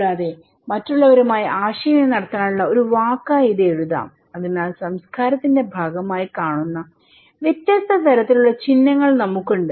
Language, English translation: Malayalam, Also, it could be written as a word to communicate with others okay so, we have different kind of symbols that human views as a part of culture